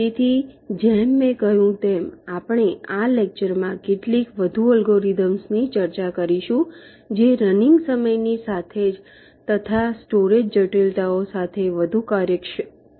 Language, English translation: Gujarati, so, as i said, we shall be discussing some more algorithms in this lecture which are more efficient in terms of the running time, also the storage complexities